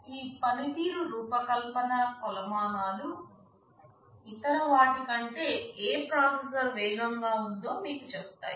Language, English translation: Telugu, This performance design metrics tell you that which processor is faster than the other in some respect